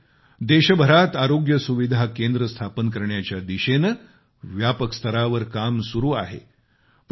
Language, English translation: Marathi, Also, extensive work is going on to set up Health Wellness Centres across the country